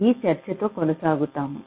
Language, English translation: Telugu, so we continue with our discussion